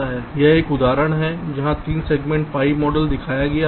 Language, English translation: Hindi, ok, now this is an example where three segment pi model is shown